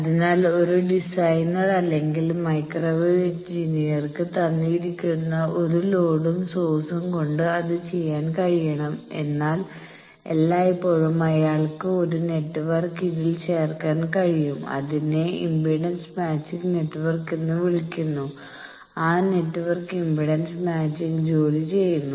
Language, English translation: Malayalam, So, a designer or microwave engineer he should be able to do that given a load and source, but always he can do put a network in between that is called impedance matching network and that network will do the job of impedance matching that we call impedance matching network